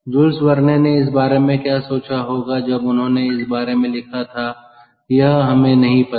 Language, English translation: Hindi, and what jules verne thought about, ah, when he wrote about this, we dont know